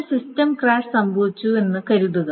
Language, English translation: Malayalam, Suppose the system crash happened at this stage